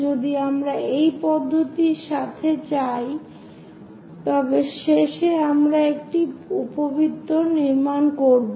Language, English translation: Bengali, If we go with this procedure, finally we will construct this ellipse